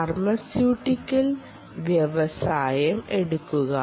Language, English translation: Malayalam, take pharmaceutical industry